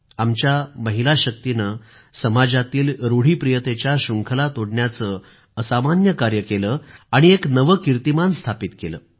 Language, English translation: Marathi, Our woman power achieved extraordinary feats, breaking the age old shackles of social mores, creating new records